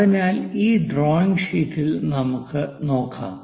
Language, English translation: Malayalam, So, let us look at on this drawing sheet